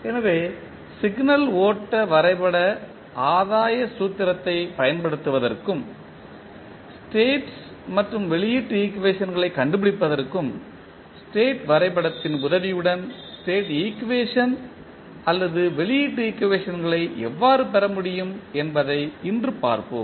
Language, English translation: Tamil, So, we will see today that how state equation or output equations can be obtained with the help of state diagram for that we use signal flow graph gain formula and find out the state and output equations